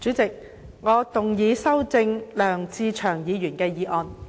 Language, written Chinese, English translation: Cantonese, 主席，我動議修正梁志祥議員的議案。, President I move that Mr LEUNG Che - cheungs motion be amended